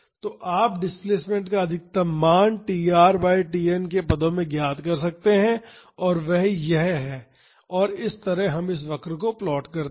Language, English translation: Hindi, So, you can find out the maximum value of the displacement in terms of tr by n and that is this and this is how we plot this curve